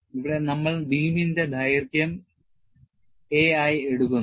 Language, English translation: Malayalam, Here we are taking the length of the beam as a